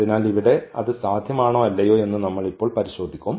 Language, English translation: Malayalam, So, whether here it is possible or not we will check now